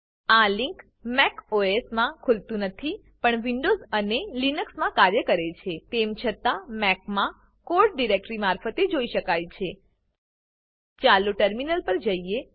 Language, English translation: Gujarati, This link does not open in Mac OS but it works in windows and linux Never the less in Mac the code can be viewed through the directory